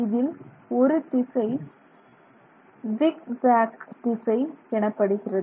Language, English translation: Tamil, One direction is referred to as the zigzag direction